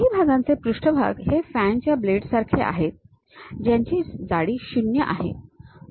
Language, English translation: Marathi, Some of the parts are surface like fan blades these are having 0 thickness